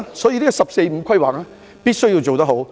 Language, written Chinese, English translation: Cantonese, 因此，"十四五"規劃必須做好。, Hence we must do well with the 14 Five - Year Plan